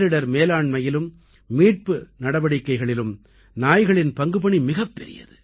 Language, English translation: Tamil, Dogs also have a significant role in Disaster Management and Rescue Missions